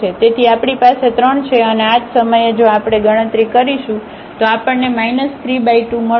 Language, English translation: Gujarati, So, we have 3 and at this point similarly, if we compute we will get minus 3 by 2